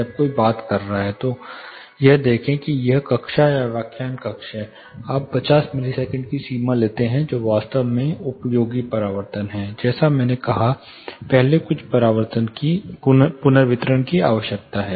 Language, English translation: Hindi, When somebody is talking see if it is classroom or a lecture hall you take a threshold of 50 milliseconds which is really useful reflection; like I said, earlier some reverberation is needed, initial reflections